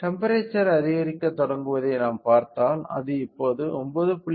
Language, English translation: Tamil, If we see the temperature started increasing, right now it is at 9